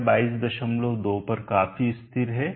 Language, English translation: Hindi, 2, it is fairly stable at 22